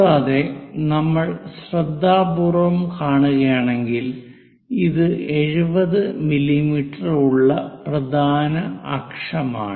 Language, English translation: Malayalam, And if we are seeing carefully because this is 70 mm major axis, so the diameter of this entire circle itself is 70 mm